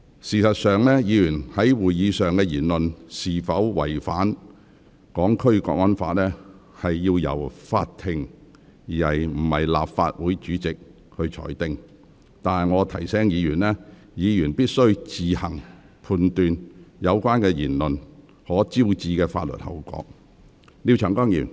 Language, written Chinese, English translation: Cantonese, 事實上，議員在會議上的言論是否違反《港區國安法》，應由法庭而非立法會主席裁定，但我提醒議員，議員必須自行判斷有關言論可能招致的法律後果。, In fact whether the remarks made by a Member in a meeting violate the National Security Law for HKSAR should be decided by the Court instead of the President of the Legislative Council but I wish to remind Members that they have to evaluate for themselves the possible legal consequences of their remarks